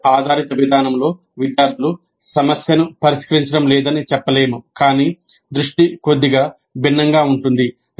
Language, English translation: Telugu, This is not to say that in project based approach the students are not solving the problem but the focus is slightly different